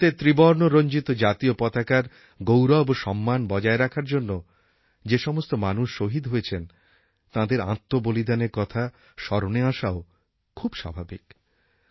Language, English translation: Bengali, It is also natural that we remember our Jawans who sacrificed their lives to maintain the pride and honour of our Tricolor Flag